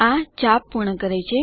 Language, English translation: Gujarati, This completes the arc